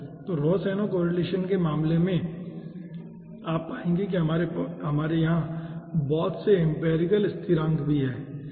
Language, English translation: Hindi, so in case of rohsenow correlation, you will be finding out that, ah, we are having lots of empirical constants also over here